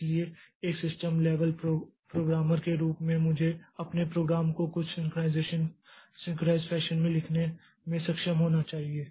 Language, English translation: Hindi, So as a a system level programmer I should be able to do the write my program in some synchronized fashion